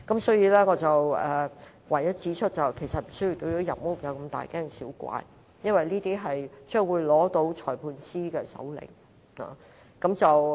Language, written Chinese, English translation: Cantonese, 所以，我只想指出其實無須對入屋如此大驚小怪，因為這做法要在取得裁判官的手令才可以。, For that reason I only wish to point out that we should not make too much a fuss about it . It is because the search warrant has to be issued by a magistrate